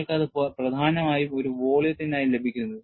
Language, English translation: Malayalam, You are essentially getting it for a volume